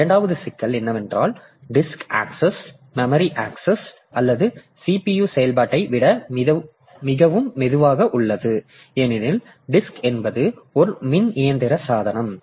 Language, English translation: Tamil, And the second problem is that disk access by itself is much slower than the memory access or the CPU operation because disk is a electromechanical device